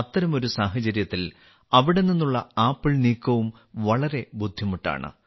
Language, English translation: Malayalam, In such a situation, the transportation of apples from there is equally difficult